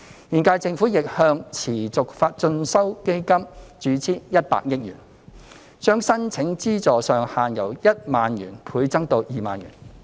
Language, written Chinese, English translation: Cantonese, 現屆政府亦向持續進修基金注資100億元，將申領資助上限由1萬元倍增至2萬元。, The current - term Government has also injected 10 billion into the Continuing Education Fund and the subsidy ceiling has been doubled from 10,000 to 20,000 per applicant